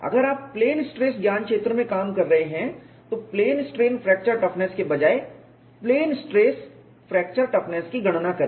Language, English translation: Hindi, If you are working in the plane stress domain then calculate the plane stress fracture toughness rather than plane strain fracture toughness